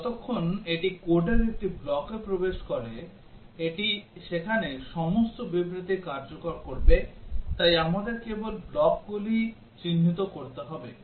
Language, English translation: Bengali, That as long as it enters a block of code, it will execute all the statements there, so we need to only mark the blocks